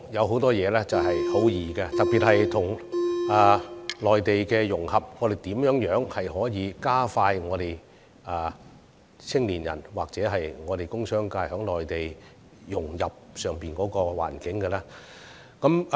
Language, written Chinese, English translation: Cantonese, 很多事情說來容易，特別是談到跟內地融合、如何加快香港青年人和工商界融入內地環境等方面。, Things are often easier said than done . This is particularly so when Hong Kong has to integrate with the Mainland and help young people and members of the business sector integrate into the Mainlands environment